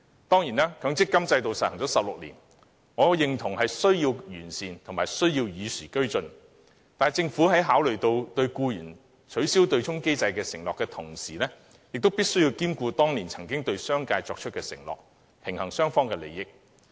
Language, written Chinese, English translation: Cantonese, 當然，強積金制度實施了16年，我認同有需要予以完善、與時俱進，但政府在考慮履行對僱員作出取消對沖機制承諾的同時，亦須兼顧當年對商界作出的承諾，以平衡雙方利益。, Given that the MPF System has been implemented for 16 years I certainly agree that it is necessary to improve the MPF System to bring it abreast of the times . Nevertheless in considering honouring its promise to employees with regard to the abolition of the offsetting mechanism the Government should also take into consideration its promise to the business sector back then with a view to striking a balance between the interests of both parties